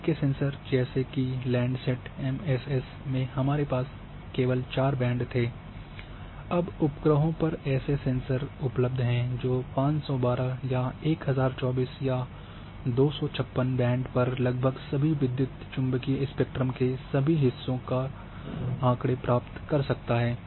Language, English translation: Hindi, In earlier sensors like landsetmss we had only four bands, now there are sensors available on board satellite which can acquire data at 512 or even 1024 bands 256 band for almost same part of electromagnetic spectrum